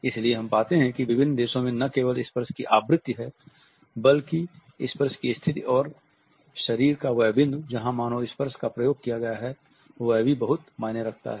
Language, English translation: Hindi, So, we find that in various countries it is not only the frequency of touch, but also the position of touch, the point of the body where a human touch has been exercised also matters a lot